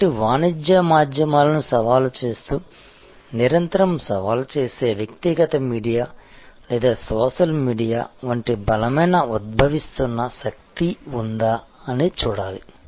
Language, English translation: Telugu, So, whether there is a strong emerging force like the personal media or social media, which is constantly challenge, challenging the commercial media